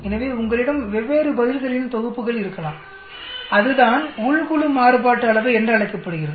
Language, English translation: Tamil, So you may have different sets of answers there that is called within group variance